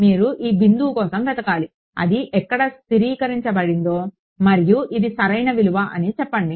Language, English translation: Telugu, You should look for this point which has where it has stabilized and say that this is the correct value